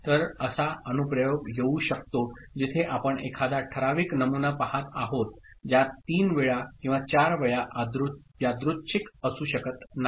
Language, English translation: Marathi, So, there could be an application where we are looking at a particular pattern coming say 3 times or 4 times which cannot be random